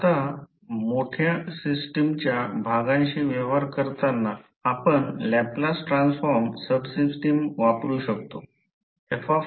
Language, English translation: Marathi, Now when dealing with the parts of the large system we may use subsystem Laplace transform